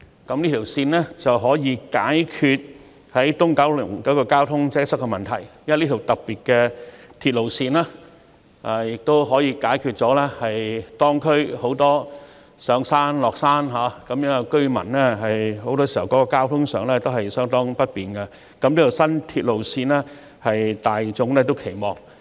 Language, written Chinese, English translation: Cantonese, 新鐵路線不但將可解決九龍東交通擠塞的問題，這條特別的鐵路線亦可解決很多當區居民上下山時交通不便的問題，故此大眾均對這條新鐵路線相當有期望。, The new railway line will not only solve the traffic congestion problem in Kowloon East but this special railway line can also address the inconvenience of many local residents when travelling up and down the hill . Therefore the public has rather high expectations for this new railway line